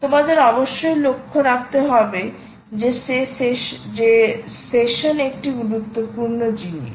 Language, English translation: Bengali, you must note that session is an important thing, right